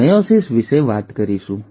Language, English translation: Gujarati, We will talk about meiosis